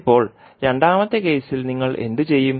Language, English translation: Malayalam, Now, in the second case what you will do